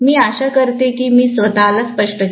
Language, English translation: Marathi, I hope I have made myself clear